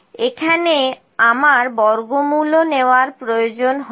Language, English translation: Bengali, I need to takes square root here as well